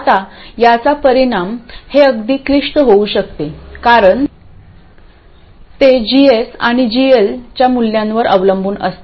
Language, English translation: Marathi, Now the effect of this it turns out can be quite complicated because it depends on the values of GS and GL and so on